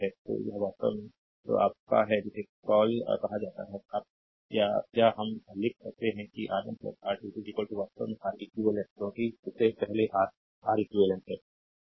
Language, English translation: Hindi, So, this is actually ah your what you call if you or or ah we can write that R 1 plus R 2 is equal to actually Req because earlier ah that is R Req